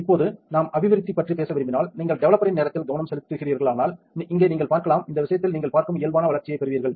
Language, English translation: Tamil, And now if we want to talk about developing, then developing you can see here if you are concentrating on your time of the developer right then you will get the normal development as you can see in this case